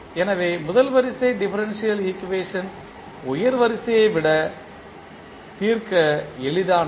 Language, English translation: Tamil, So, the first order differential equations are simpler to solve than the higher order ones